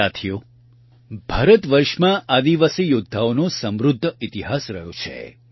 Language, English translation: Gujarati, Friends, India has a rich history of tribal warriors